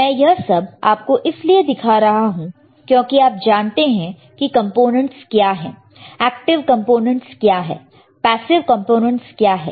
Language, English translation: Hindi, And why I am kind of showing it to you I am sure that you all know what are the components, what are the active components, what are the passive components